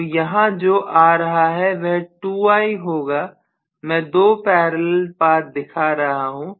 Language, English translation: Hindi, So what is coming out here will be 2I, right, may be I am showing two parallel paths